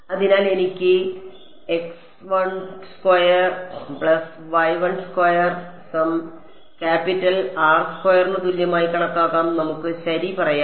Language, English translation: Malayalam, So, this x prime square plus y prime square I can take it to be equal to sum capital R squared let us say ok